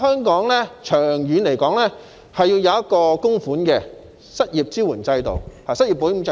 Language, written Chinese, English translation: Cantonese, 所以，長遠而言，香港需要設立一個供款式的失業保險制度。, Therefore in the long run Hong Kong needs to establish a contributory unemployment insurance system